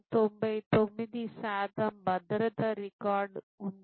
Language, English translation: Telugu, 99 percent of safety record